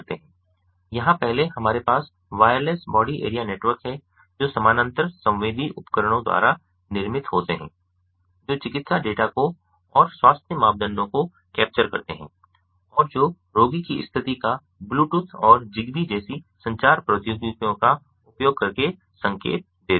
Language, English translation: Hindi, first we have the wireless body area networks, which are formed by parallel sensing devices which capture the medical data, the health parameters, ah, which indicate the condition of the patient, and using communication technologies such as bluetooth and zigbee